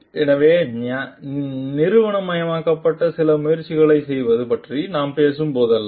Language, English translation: Tamil, So, whenever we are talking of institutionalized doing some processes